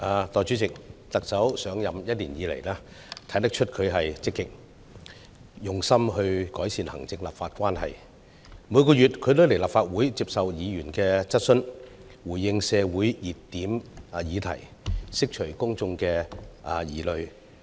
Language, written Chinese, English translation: Cantonese, 代理主席，特首上任一年以來，看得出她很積極用心改善行政立法關係，她每個月也來立法會接受議員質詢，回應社會熱點議題，釋除公眾疑慮。, Deputy President since the Chief Executive assumed office for a year we can see that she has made proactive effort to improve executive - legislative relationship . She comes to the Legislative Council every month to take Members questions and respond to heated topics in the community to allay public concerns